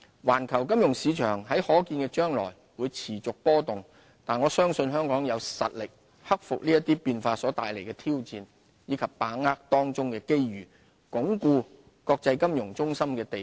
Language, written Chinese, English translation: Cantonese, 環球金融市場在可見的將來會持續波動，但我相信香港有實力克服這些變化所帶來的挑戰，以及把握當中的機遇，鞏固國際金融中心的地位。, The industry serves as a key driving force for our steady economic growth . Although the global financial market will remain volatile in the foreseeable future I believe Hong Kong has the strengths to ride out the challenges arising from these changes and seize the opportunities to reinforce our status as an international financial centre